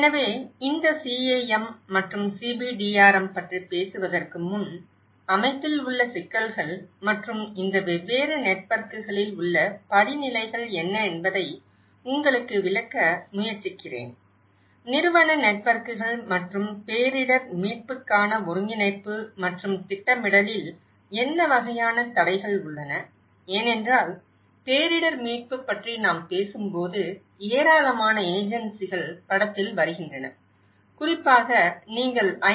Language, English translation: Tamil, So, before we talk about these CAM and CBDRM, I think I will try to explain you what are the complexities within the system and the hierarchies on these different networks; the institutional networks and what are the kind of constraints on coordination and planning of a disaster recovery because when we talk about disaster recovery, a lot of agencies comes into the picture especially, even if you take the system of UN; United Nations so, there been a number of bodies coming